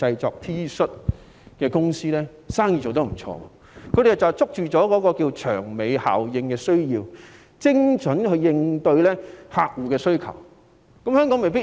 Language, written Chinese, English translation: Cantonese, 這些公司就把握了"長尾效應"的需要，精準地應對客戶的需求。, These companies have capitalized on the long tail effect by accurately responding to customers demands